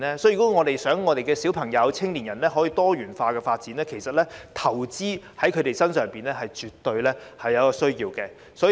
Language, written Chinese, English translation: Cantonese, 如果我們想小朋友、青年人有多元化的發展，投資在他們身上是絕對有需要的。, If we want our children and young people to have pluralistic development we must invest in them